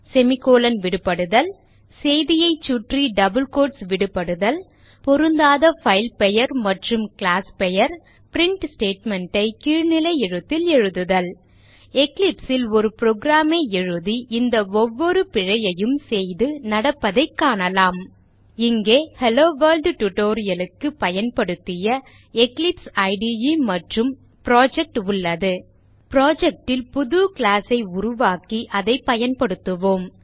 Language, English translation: Tamil, Missing semicolon() Missing double quotes( ) around the message Mis match of filename and classname and And Typing the print statement in lower case We shall write a program and then make each of these errors and see what happens in Eclipse Here we have the Eclipse IDE and the project used for the HelloWorld tutorial We shall create a new class in the project and use it New Class